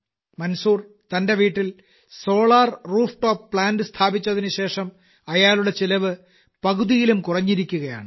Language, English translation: Malayalam, 4 thousand, but, since Manzoorji has got a Solar Rooftop Plant installed at his house, his expenditure has come down to less than half